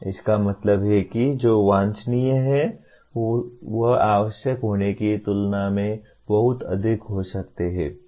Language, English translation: Hindi, That means what is desirable can be much more than what is essential